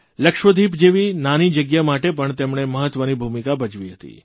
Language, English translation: Gujarati, He played a far more significant role, when it came to a small region such as Lakshadweep too